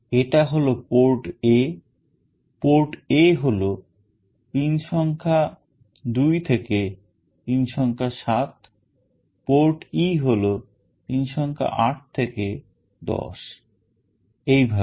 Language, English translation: Bengali, This is port A; port A is from pin number 2 to pin number 7, port E is from pin number 8 to 10, and so on